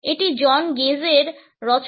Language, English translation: Bengali, It is by John Gage